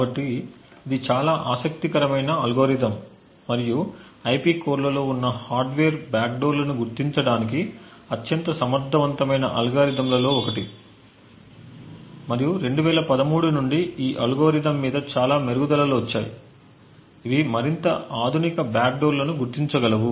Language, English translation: Telugu, So, this is a very interesting algorithm and one of the most efficient algorithms to detect potential hardware backdoors present in IP cores and there have been various improvements over this algorithm since 2013, which could detect more advanced backdoors